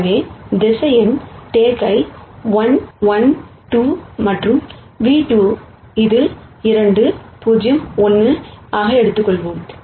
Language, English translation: Tamil, So, let us take vector nu 1 which is 1 minus 1 minus 2, and nu 2 which is 2 0 1